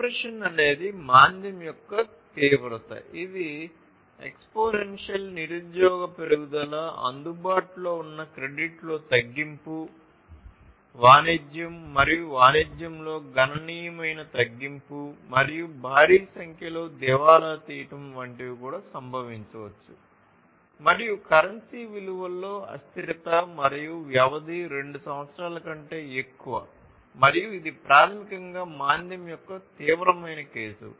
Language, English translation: Telugu, Depression is the extremity of recession, which is observed by exponential unemployment increase, reduction in available credit, significant reduction in trade and commerce and huge number of bankruptcies might also consequently happen and there is volatility in currency value and the duration is more than two years and this is basically the extreme case of recession